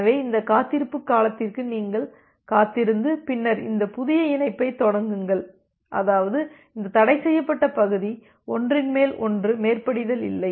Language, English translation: Tamil, So you wait for this wait duration and then initiate this new connection such that this forbidden region does not overlap with each other